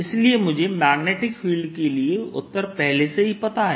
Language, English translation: Hindi, so i already know the answer for magnetic field